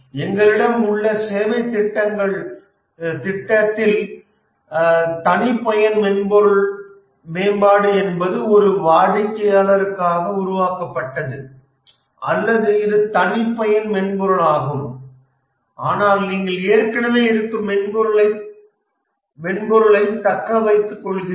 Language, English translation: Tamil, And in the services project we have custom software development, develop entirely for a customer, or it's a custom software but then you tailor an existing software